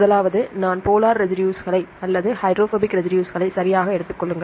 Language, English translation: Tamil, First one is the, take the non polar residues or the hydrophobic residues right